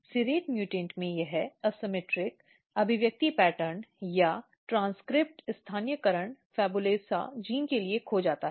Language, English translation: Hindi, In serrate mutants this asymmetric expression pattern or transcript localization is lost for the PHABULOSA genes